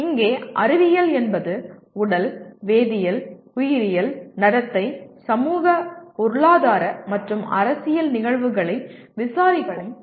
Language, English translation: Tamil, Here science is a process of investigation of physical, chemical, biological, behavioral, social, economic and political phenomena